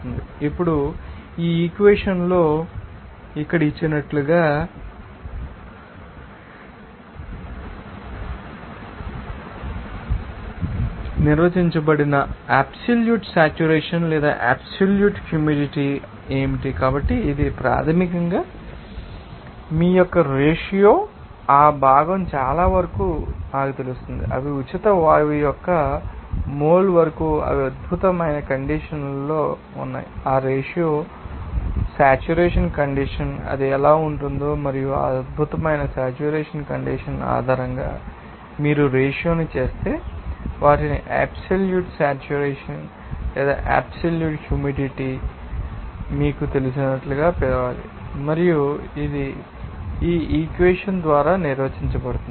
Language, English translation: Telugu, Now, what is the absolute saturation or absolute humidity that is also defined as like here given in this equation here so, this is basically the ratio of you know most of that component i to the moles of its you know, in the, you know, free gas they are in excellent condition and also that ratio will be in you know saturated condition, how it will be there and based on that excellent saturation condition if you make it ratio they need to be called as you know absolute saturation or absolute humidity and it is defined as by this equation